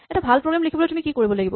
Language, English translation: Assamese, So, what do you need to do to write a good program